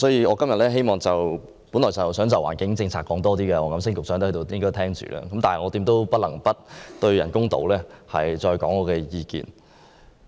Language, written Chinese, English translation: Cantonese, 我今天本來想就環境政策發言，因為黃錦星局長在席，我想他聽聽，但現在我不得不再就人工島發表意見。, Today I originally intended to speak on the environmental protection policy as Secretary WONG Kam - sing is present and I wanted him to hear my views but now I have to speak on the artificial islands